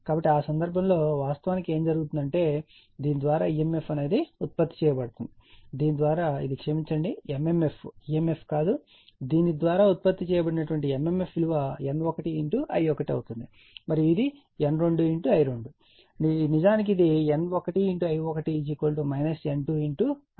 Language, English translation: Telugu, So, in that case what is actually what is happening that emf produce by this one say by this one it is it is sorry not emf, mmf; mmf produced by this one will be N 1 I 1 and, right and this one will be N 2 I 2 actually it will be N 1 I 1 is equal to minus of N 2 I 2 it is something like this it is something like this